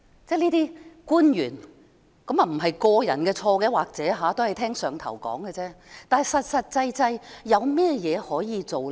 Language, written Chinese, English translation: Cantonese, 這些官員......或許不是個人的錯，他們可能只是聽從"上頭"的命令，但確實有甚麼可以做呢？, Maybe it is nothing to do with personal faults as these officials may be just following the orders of the head honcho but what can they do actually?